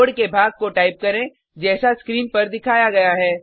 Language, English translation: Hindi, Type the following piece of code as shown